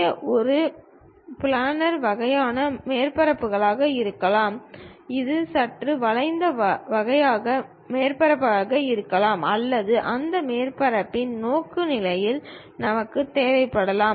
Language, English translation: Tamil, It might be a planar kind of surfaces, it might be slightly curved kind of surfaces or perhaps the orientation of that surface also we require